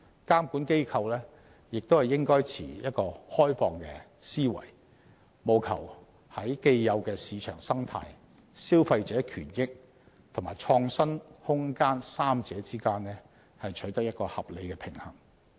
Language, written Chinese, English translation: Cantonese, 監管機構亦應抱持開放思維，務求在既有的市場生態、消費者權益及創新空間三者之間取得合理平衡。, Regulators should keep an open mind and strive to strike an appropriate balance among the established market ecology consumer rights and room for innovation